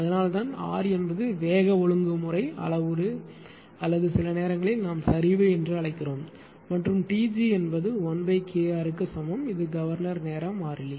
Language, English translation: Tamil, That is why R is speed regulation parameter or sometimes we call droop and T g is equal to 1 upon K R that is governor time constant right T g